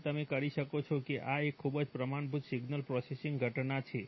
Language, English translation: Gujarati, So you can, you can this is a very standard signal processing phenomenon